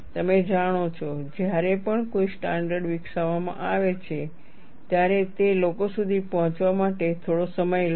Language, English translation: Gujarati, You know, whenever a standard is developed, for it to percolate down to people, it takes some time